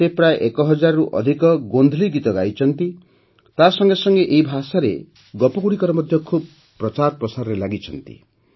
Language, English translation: Odia, He has sung more than 1000 Gondhali songs and has also widely propagated stories in this language